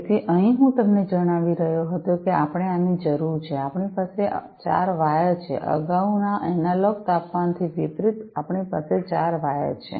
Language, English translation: Gujarati, So over here as I was telling you that we need so, we have 4 wires over here, unlike the previous analog temperature one so, we have 4 wires